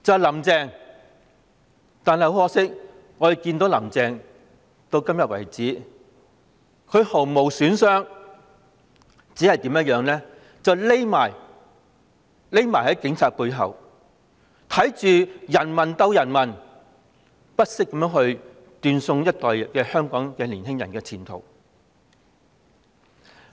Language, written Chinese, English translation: Cantonese, 很可惜，我們看到"林鄭"至今為止仍絲毫無損，只會躲在警察背後，看着人民鬥人民，不惜斷送一整代香港年青人的前途。, Regrettably so far we have not seen the slightest bruise on Carrie LAM who knew nothing but hiding behind the Police to watch the people fight against the people and showed no hesitation to ruin the future of a whole generation of youths in Hong Kong